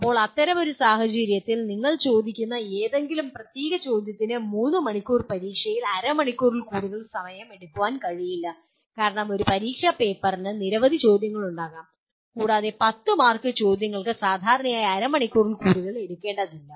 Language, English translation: Malayalam, Now in such a case, and any particular question that you ask cannot take in a 3 hour exam more than half an hour because an exam paper will have several questions and a 10 mark questions should take normally not more than half an hour